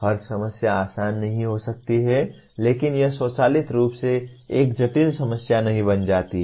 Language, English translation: Hindi, Every problem may not be easy but it does not become a complex problem automatically